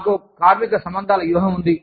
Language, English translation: Telugu, We have labor relations strategy